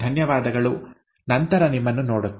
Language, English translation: Kannada, Thank you and see you later